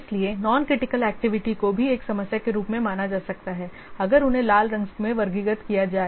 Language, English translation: Hindi, Non critical activities they are likely to be considered as a problem if they are classified as red